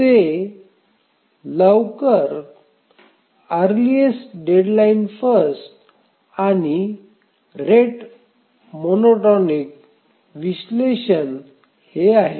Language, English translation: Marathi, One goes by the name earliest deadline first and the other is rate monotonic analysis